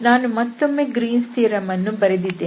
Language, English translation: Kannada, So, we have this again I have written this Greens theorem once again